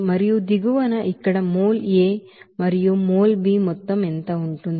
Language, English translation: Telugu, And at the bottom what will be that amount of mol A and mol B here